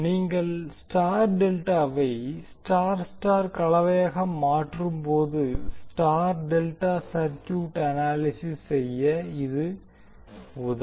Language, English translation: Tamil, So this will help you to analyze the star delta circuit while you convert star delta into star star combination